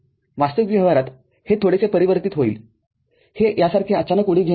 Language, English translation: Marathi, In actual practice, it will be little bit tapered it will not be an abrupt jump like this